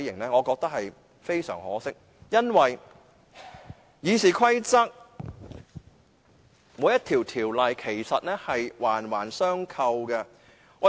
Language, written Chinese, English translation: Cantonese, 我覺得非常可惜，因為《議事規則》內各項規則其實是環環相扣的。, I find this most unfortunate because various rules of RoP are indeed interlocked